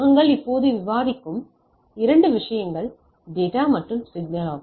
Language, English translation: Tamil, So, as we are discussing now, so 2 things coming now and then is the data and signal right